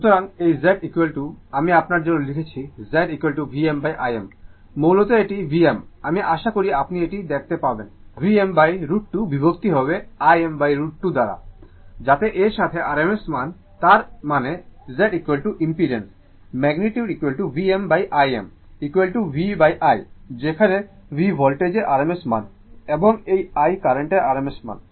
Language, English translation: Bengali, So, this Z is equal to I am writing for you Z is equal to right, when we write V m by I m right, basically it is equal to V m I hope you can see it V m by root 2 divided by I m by root 2 right, so that means RMS value, that means your let me clear it, that means Z is equal to the impedance magnitude is equal to V m by I m is equal to V by I, where V is the RMS value of the voltage, and I is the RMS value of the current